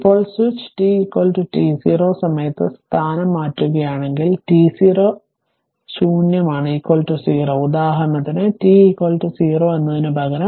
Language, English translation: Malayalam, Now, suppose if the switch changes position at time t is equal to t 0, t 0 is a naught is equal to 0 for example, so instead of t is equal to 0